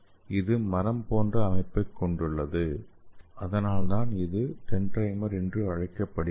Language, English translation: Tamil, So it is having like a tree like structure So that is why it is called as dendrimer